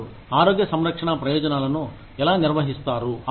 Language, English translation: Telugu, How do you manage healthcare benefits